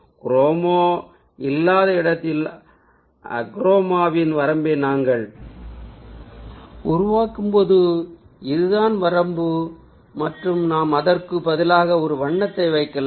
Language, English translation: Tamil, so when we created the range of ah achroma, where there is no chroma present, this is the range and we can replace it with a single color